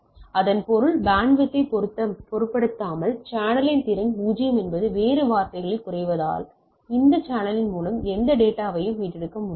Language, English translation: Tamil, This means the capacity of the channel is 0 regardless of the bandwidth in other words we cannot retrieve any data through this channel right